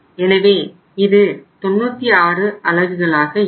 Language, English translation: Tamil, So this will become 96 units